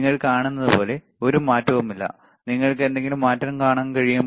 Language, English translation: Malayalam, And as you see, there is no change, can you see any change